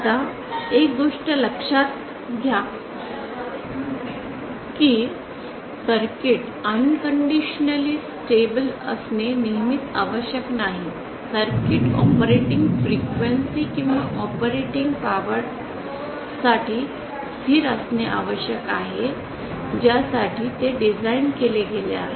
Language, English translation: Marathi, Now mind you one thing that it is not necessary always to for the circuit to be unconditionally stable the circuit has to be stable for the operating frequencies or the operating powers that it is designed for